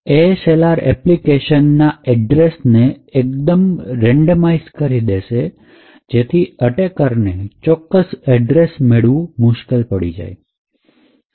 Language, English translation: Gujarati, What the ASLR achieves is that it randomises the address space of an application, thereby making it difficult for the attacker to get specific addresses